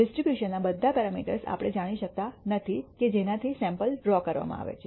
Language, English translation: Gujarati, We may also not know all the parameters of the distribution from which the samples are being withdrawn